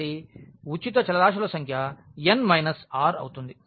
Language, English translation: Telugu, So, number of free variables will be n minus r